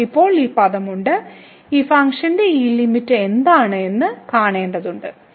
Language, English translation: Malayalam, We have this term now so we have to see what is this limit here of this function